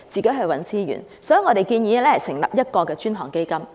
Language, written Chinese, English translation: Cantonese, 因此，我們建議成立過渡性房屋專項基金。, For this reason we propose the establishment of a dedicated fund for transitional housing